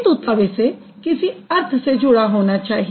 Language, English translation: Hindi, Then obviously they have some meaning associated with it